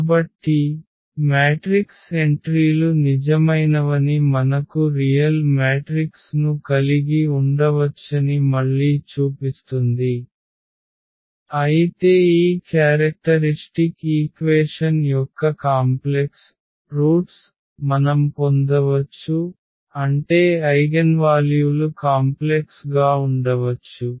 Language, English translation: Telugu, So, that again shows that the matrix entries may be real we can have a real matrix, but still we may get the complex roots of this characteristic equation meaning the eigenvalues may be complex